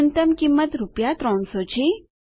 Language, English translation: Gujarati, The minimum cost is rupees 300